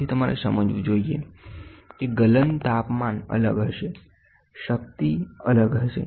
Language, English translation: Gujarati, So, you should understand the melting temperature will be different, the strength will be different